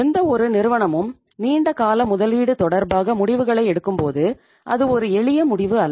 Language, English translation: Tamil, When any firm makes or takes a decisions regarding the long term investment, itís not a simple decision